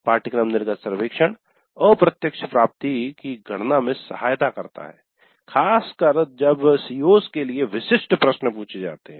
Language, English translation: Hindi, So course exit survey aids in computing the indirect attainment particularly when questions are asked specific to COs